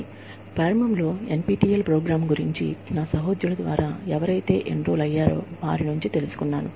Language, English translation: Telugu, I also came to know, about this initially, the NPTEL program, through some of my colleagues, who enrolled in it